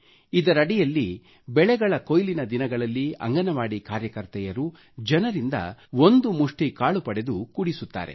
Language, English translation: Kannada, In this novel scheme, during the harvest period, Anganwadi workers collect a handful of rice grain from the people